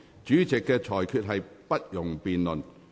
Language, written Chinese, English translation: Cantonese, 主席的裁決不容辯論。, No debate on the Presidents ruling is allowed